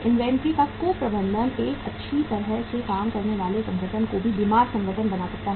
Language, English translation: Hindi, The mismanagement of inventory can make a well functioning organization a sick organization